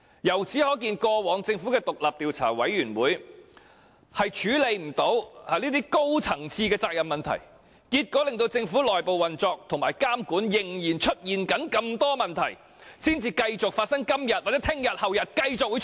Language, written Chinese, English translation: Cantonese, 由此可見，過往政府的獨立調查委員會均無法處理高層的責任問題，結果令政府的內部運作和監管仍然存在種種問題，而這些問題可能會在今天、明天和後天繼續出現。, It is clear that no independent Commission of Inquiry set up by the Government in the past could address the issue of accountability of senior officers and as consequently the Governments internal operation and monitoring systems are still riddled with problems which may continue to surface today tomorrow and the day after tomorrow